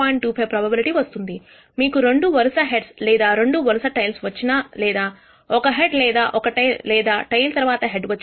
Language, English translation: Telugu, 25, whether you get two successive heads or two successive tails or a head or a tail or a tail in the head all will be 0